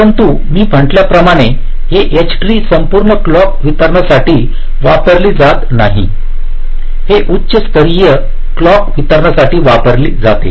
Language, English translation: Marathi, but, as i had said, this h tree is typically not used for the entire clock distribution